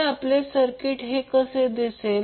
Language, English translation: Marathi, So, how our circuit will look like